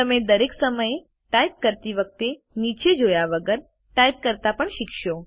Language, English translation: Gujarati, You will also learn to: Type without having to look down at every time you type